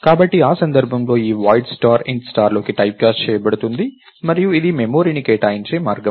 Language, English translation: Telugu, this void star in this case is typecast into int star and this is the way to allocate memory